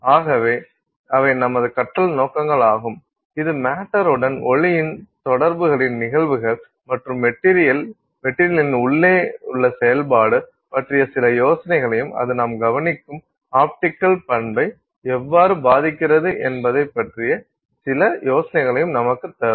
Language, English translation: Tamil, It will give us some idea of the phenomena of interaction of light with matter and some idea of the internal working of the material and how that impacts the optical property that we are observing